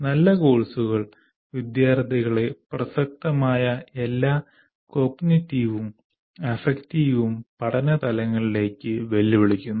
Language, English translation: Malayalam, Good courses challenge students to all the relevant cognitive and affective levels of learning